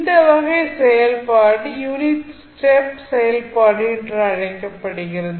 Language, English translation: Tamil, So, this kind of function is called unit step function